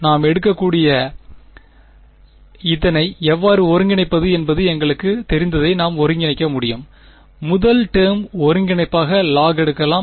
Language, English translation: Tamil, We can just integrate it we know how to integrate this right we can take, log as the first term integration by parts right